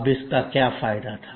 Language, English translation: Hindi, Now, what was the advantage